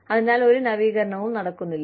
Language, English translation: Malayalam, So, no innovation takes place